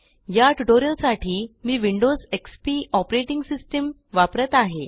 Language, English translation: Marathi, For this tutorial I am using Windows XP operating system